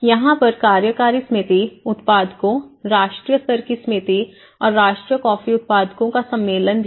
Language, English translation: Hindi, And there is also the executive committee, the growers, national level committee and the national coffee growers congress on the summit